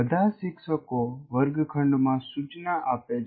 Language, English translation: Gujarati, All teachers do instruction in the classroom